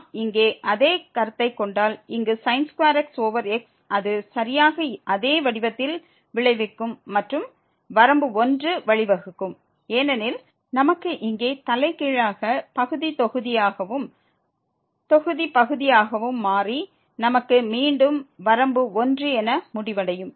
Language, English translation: Tamil, The same thing if we consider here square over x it will result exactly in the same form and will lead to the limit 1 because, we will have just the reverse the denominator will become numerator and numerator will become denominator and we will end up with limit 1